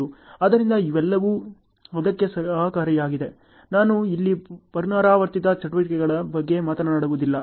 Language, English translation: Kannada, So, all these are helpful for that, I am not talking about repetitive activities here ok